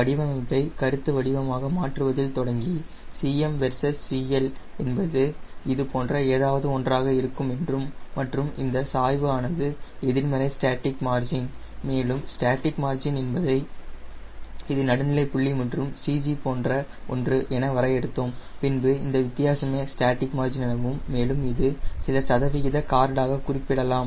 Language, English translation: Tamil, as for as conceptualizing the design, you said: ok, i know c m versus c l will be something like this and this slope, d c m by d c l is nothing but minus static margin and static margin will define as if this is the neutral point and if this is the c g, then this difference is static margin and it is expressed as some percentage of called